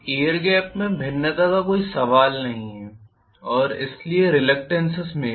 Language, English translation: Hindi, There is no question of any variation in the air gap and hence in the reluctance